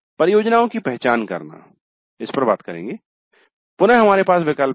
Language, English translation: Hindi, Then identifying the projects, again here we have choices